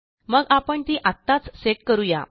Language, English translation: Marathi, So, we will set it right now